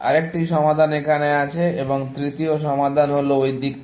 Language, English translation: Bengali, Another solution is here, and the third solution is that side, essentially